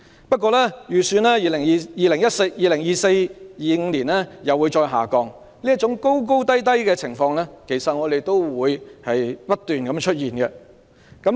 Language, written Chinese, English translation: Cantonese, 不過，預期 2024-2025 學年中一人口會再度下降，這種高低波動的情況其實會不斷出現。, However it is projected that secondary one population for the 2024 - 2025 school year will drop again . Actually such fluctuations in the population will continue to appear